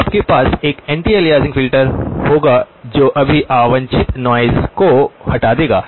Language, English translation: Hindi, So you would have an anti aliasing filter that would remove all the unwanted noise